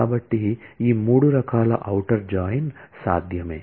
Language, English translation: Telugu, So, these three kinds of outer join are possible